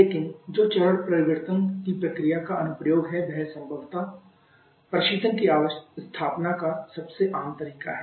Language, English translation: Hindi, But the one that is application of the phase change process probably is the most common way of establishing refrigeration